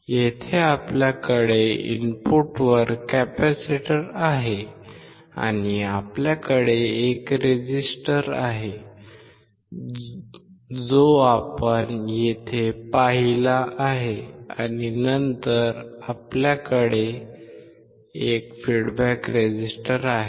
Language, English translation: Marathi, Here we have the capacitor at the input and we have a resistor which we have seen here and then we have a resistor which is feedback